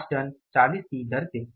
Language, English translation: Hindi, 8 tons at the rate of rupees 40